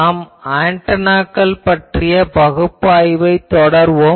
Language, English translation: Tamil, We were continuing that generalized analysis of Antennas